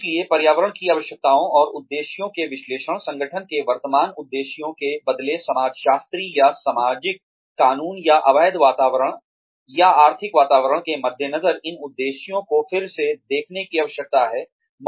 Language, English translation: Hindi, So, the requirements of the environment, and the analysis of the objectives, of the current objectives of the organization, in light of the changing, sociopolitical, or socio legal, or the illegal environment, or economic environment, these objectives need to be revisited